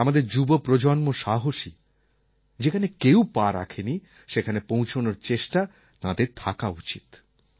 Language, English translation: Bengali, They should have the courage to set foot on places where no one has been before